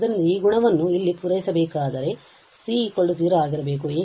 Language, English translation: Kannada, So, if this property need to be fulfilled here, then the c has to be 0